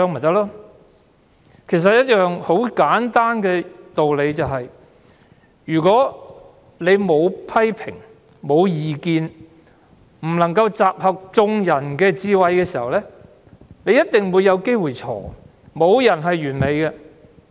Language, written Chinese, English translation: Cantonese, 道理很簡單，沒有批評和異見，便無法集合眾人的智慧，於是便必會有可能出錯，因為沒有人是完美的。, The reason is very simple it will be impossible to gather collective wisdom without criticism and dissenting views . Something wrong is bound to happen as no one is perfect